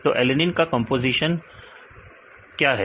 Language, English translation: Hindi, So, what is the composition of alanine